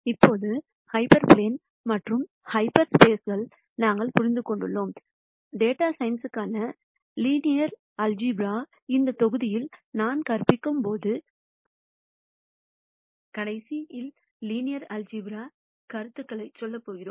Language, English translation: Tamil, Now, that we have understood hyper planes and half spaces we are going to move on to the last linear algebra concept that I am going to teach in this module on linear algebra for data sciences